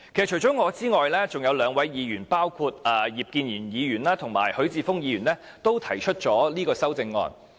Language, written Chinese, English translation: Cantonese, 除了我之外，還有兩位議員，包括葉建源議員及許智峯議員均提出了修正案。, I aside two Members namely Mr IP Kin - yuen and Mr HUI Chi - fung have also proposed CSAs on this